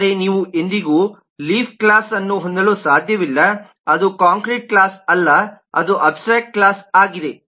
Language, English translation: Kannada, but you can never have a leaf class which is not a concrete class, which is an abstract class